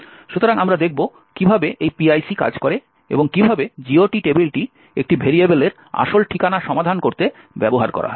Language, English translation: Bengali, So, we will see how this PIC works and how, the GOT table is used to resolve the actual address of a variable